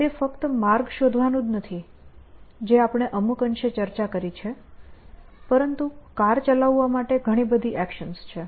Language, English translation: Gujarati, It is not just route finding, which is what we have discussed to some extent, but to drive a car there are many many actions that you have to do